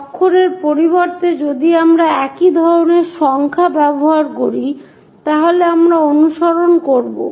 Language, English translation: Bengali, Instead of letters if we are using numbers similar kind of style we will follow